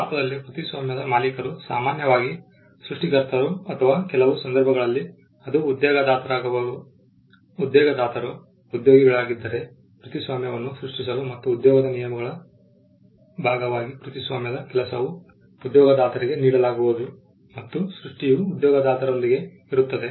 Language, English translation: Kannada, In India the owner of the copyright is usually the creator that is the author or in some cases it could be the employer, if the employer as employed is employees to create the copyright and as a part of the terms of employment the copyrighted work would vest with the employer the creation would vest with the employer